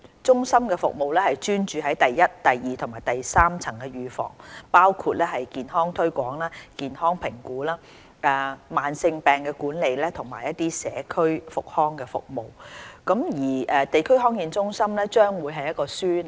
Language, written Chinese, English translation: Cantonese, 中心的服務專注於第一、第二和第三層預防，包括健康推廣、健康評估、慢性病的管理和社區復康服務。地區康健中心將會是一個樞紐。, The Centre will focus its services on the first second and third levels of prevention including health promotion health evaluation management of chronic diseases and community rehabilitation service . DHC will be a hub